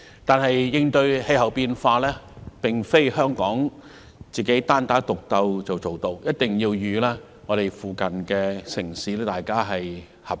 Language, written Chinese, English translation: Cantonese, 但是，應對氣候變化，並非香港"單打獨鬥"便做到，我們一定要與鄰近城市合作。, However Hong Kong cannot win the battle against climate change fighting alone . We must cooperate with nearby cities